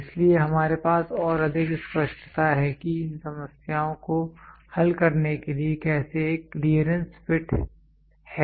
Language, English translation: Hindi, So, that we have more clarity how to solve these problems a clearance fit